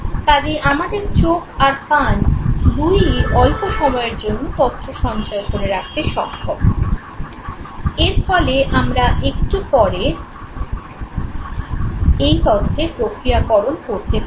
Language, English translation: Bengali, Eyes and ears, both are now capable of storing the information for a shorter period of time to ensure or to allow you the probability of processing this information at a little later stage